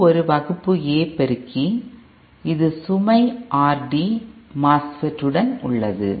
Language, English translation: Tamil, This is a Class A amplifier with this is our MOSFET with load RD